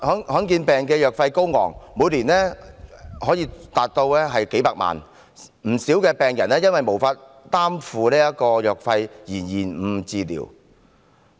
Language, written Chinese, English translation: Cantonese, 罕見疾病的藥費高昂，每年可達數百萬元，不少病人因為無法負擔藥費而延誤治療。, Given their steep prices the drugs for rare diseases can cost patients as much as several million dollars a year . Many patients have delayed their medical treatments as they are unable to afford the drugs